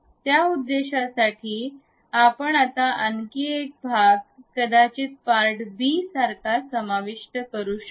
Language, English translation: Marathi, For that purpose, what we can do is, we can again insert one more component perhaps part b done